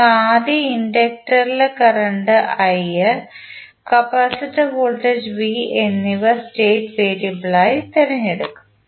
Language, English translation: Malayalam, We will first select inductor current i and capacitor voltage v as the state variables